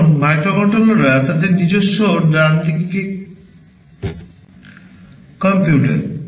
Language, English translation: Bengali, Now, microcontrollers are computers in their own right